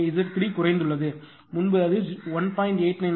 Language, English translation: Tamil, So, Z 3 it has decreased one, earlier it was 1